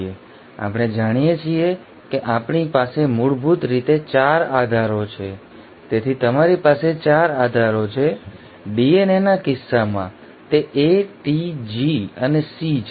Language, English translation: Gujarati, Now we know we basically have 4 bases, so you have 4 bases; in case of DNA it is A, T, G and C